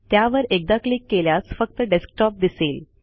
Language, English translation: Marathi, If we click on it, it shows only the Desktop